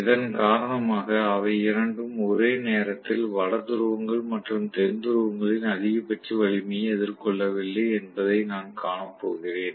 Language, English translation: Tamil, Because of which I am going to see that both of them are not facing the maximum strength of north poles and south poles at the same instant of time